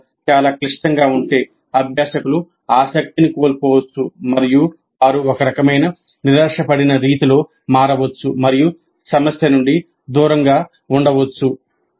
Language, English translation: Telugu, The problem is too complex the learners may lose interest and they may become in a kind of disappointed mode turn away from the problem